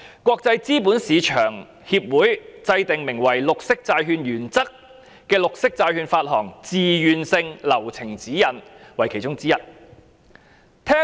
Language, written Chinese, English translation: Cantonese, 國際資本市場協會制訂名為《綠色債券原則》的綠色債券發行自願性流程指引為其中之一。, These include amongst others the Green Bond Principles GBP introduced by the International Capital Market Association as voluntary process guidelines for issuing green bonds